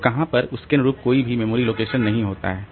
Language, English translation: Hindi, So they do not have any corresponding memory location